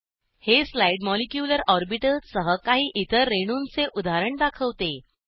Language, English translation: Marathi, This slide shows examples of few other molecules with molecular orbitals